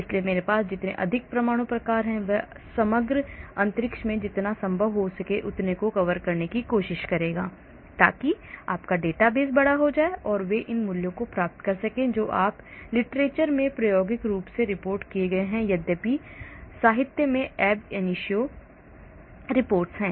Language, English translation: Hindi, so the more number of atom types I have it will try to cover as much as possible in the overall space so that means your database becomes large so they will get these values you know either from experimental reported in literature or though ab initio report in literature,